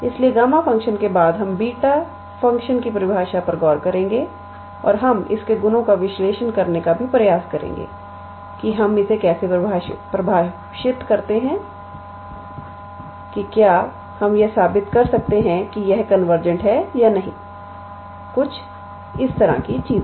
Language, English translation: Hindi, So, after gamma function we will look into the definition of beta function and we will also try to analyze its properties that how do we define also whether we can prove it is convergence or not things like that